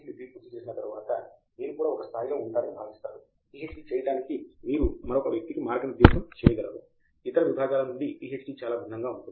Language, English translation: Telugu, Once you have finished the degree you are also expected to be at a level that you could guide another person to do a PhD, it is very different that from other disciplines